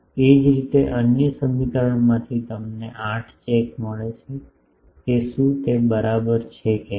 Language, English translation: Gujarati, Similarly, from the other equation you get 8 check whether they are equal